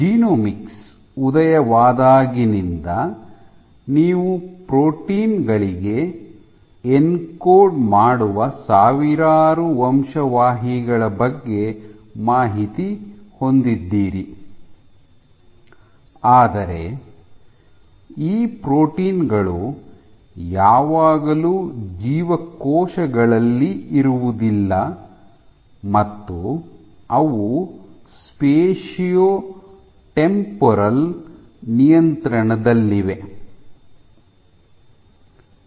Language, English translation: Kannada, So, since the dawn of genomics you have access to information about thousands of genes which encode for proteins, but these proteins are not always present in cells and you have a spatio temporal regulation